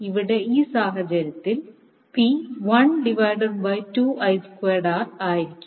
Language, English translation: Malayalam, So here in this case, P will be 1 by to 2 I square R